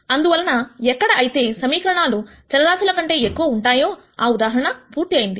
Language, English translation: Telugu, So, that finishes the case where the number of equations are more than the number of variables